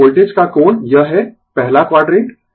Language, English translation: Hindi, So, angle of the voltage this is first quadrant